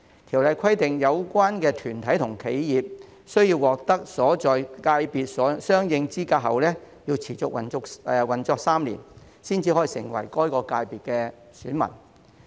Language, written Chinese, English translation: Cantonese, 《條例草案》規定，有關團體和企業須獲得其所在界別相應資格後持續運作3年以上，方可成為該界別選民。, The Bill provides that an association or enterprise may become a corporate voter for an FC only if it has been operating for not less than three years after acquiring relevant qualifications for that FC